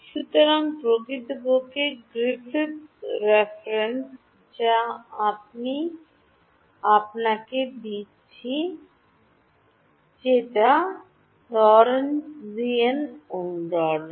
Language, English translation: Bengali, So, in fact, the Griffiths reference which I give you derives a Lorentzian resonance